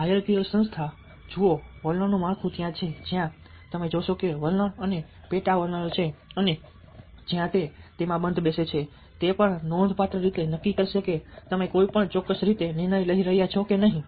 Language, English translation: Gujarati, so knowledge, hierarchical organization see ah attitudinal structure is there where you see that there are ah attitudes and sub attitudes and where it fit's into that will also significantly decide whether you are taking a decision in a particular way or not